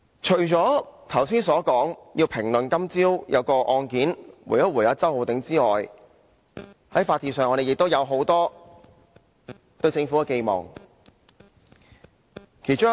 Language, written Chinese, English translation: Cantonese, 除了要回應周浩鼎議員而評論今早的案件外，我也想說說在法治上，我們對政府有很多寄望。, Apart from commenting the case this morning in response to Mr Holden CHOW I would like to talk about the many expectations we have for the Government concerning the rule of law